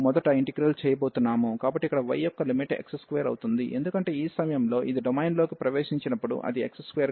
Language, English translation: Telugu, And so here the limit for y will be x square, because at this point when it enters the domain it is x square